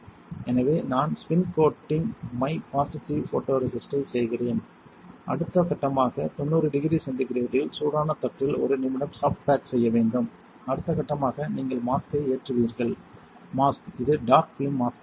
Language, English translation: Tamil, So, I am spin coating my positive photoresist, next step is you soft bake it at 90 degree centigrade for one minute on hot plate, next step would be you will load the mask; mask such that this will be dark film mask